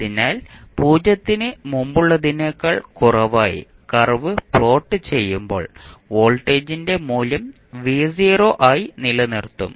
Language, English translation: Malayalam, So, when we plot the curve for t less than just before 0 we will keep the value of voltage as v naught